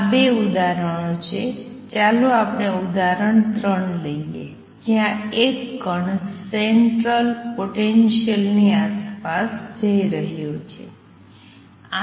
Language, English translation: Gujarati, It is the two examples; third example let us take example number 3 where a particle is going around the central potential